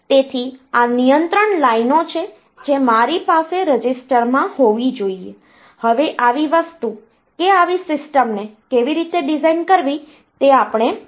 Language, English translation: Gujarati, So, these are the control lines that I should have in the register; now how to design such a thing such a system so that will see